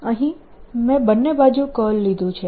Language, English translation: Gujarati, i have taken curl on both sides